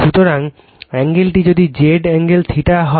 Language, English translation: Bengali, So, if the angle is Z angle theta